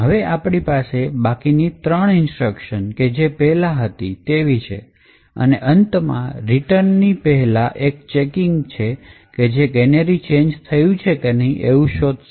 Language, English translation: Gujarati, Now we have the rest of three instructions as was here before and at the end just before the return from the function there is a check which is done to detect whether the canary has changed or not